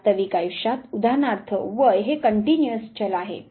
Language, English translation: Marathi, In real life term say for example, age is a continuous variable